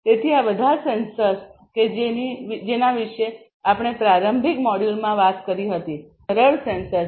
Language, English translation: Gujarati, So, all these sensors that we talked about in the introductory module before these are simple sensors